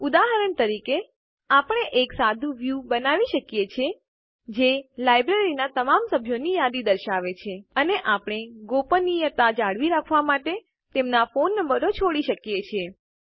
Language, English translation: Gujarati, For example, we can create a simple view which will list all the members of the library, And we can leave out their phone numbers to maintain confidentiality